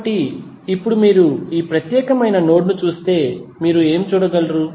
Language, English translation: Telugu, So, now if you see this particular node, what you can see